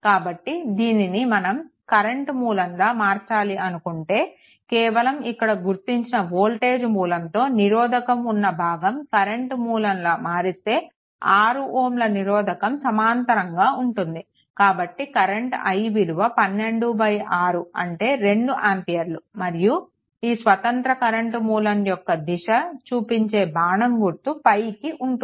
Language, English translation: Telugu, So, if you want to convert it to a current source right, only this portion, if you convert it to a current source and a resistance parallel 6 ohm parallel to it, therefore, i is equal to your 12 by 6 this 12 by 6 is equal to 2 ampere your arrow direction of the independent current source will be upward right